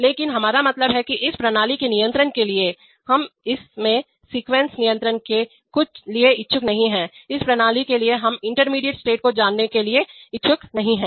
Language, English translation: Hindi, But what we mean is that for the control of this system, we are not interested for the sequence control in this, of the system, we are not interested to know the intermediate states